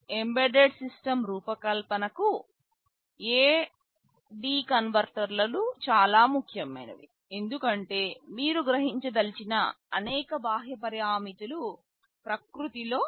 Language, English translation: Telugu, A/D converters are very important for embedded system design because many of the external parameters that you want to sense are analog in nature